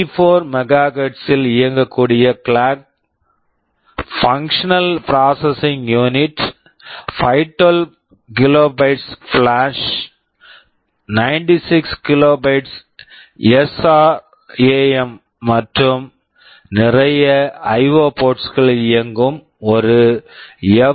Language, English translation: Tamil, There is a FPU which is running at 84 MHz clock, functional processing unit, 512 kilobytes of flash, 96 kilobytes of SRAM, and a lot of IO ports